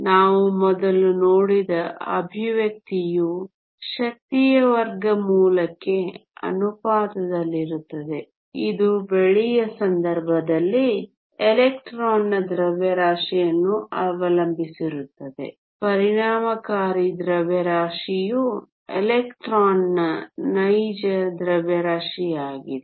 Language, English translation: Kannada, That expression we saw earlier is proportional to square root of the energy also depends up on the mass of the electron in the case of the silver the effective mass is very close actual mass of an electron